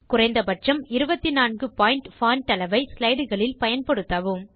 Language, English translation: Tamil, Use a minimum of 24 point font size on slides